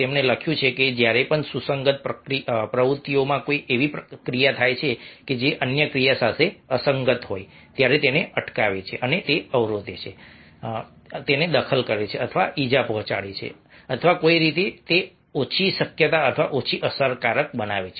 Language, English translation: Gujarati, he writes that conflict exists whenever, in compatible activities occur, an action which is incompatible with another action, prevents, obstructs, interferes with or injures or in some way makes it less likely or less effective